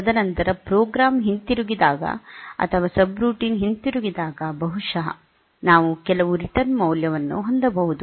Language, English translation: Kannada, And then later on it is when the program returns or subroutine returns then maybe we can have some return value